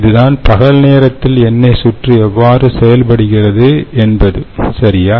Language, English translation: Tamil, so therefore, this is how the oil circuit works during daytime, all right